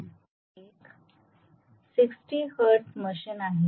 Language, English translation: Marathi, It is a 60 hertz machine